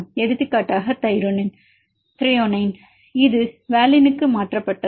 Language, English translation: Tamil, For example it is Thr this is mutated to valine